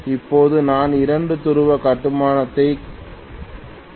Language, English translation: Tamil, Now I am showing a 2 pole construction